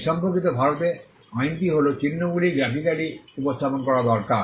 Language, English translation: Bengali, The law in India with regard to this is that the marks need to be graphically represented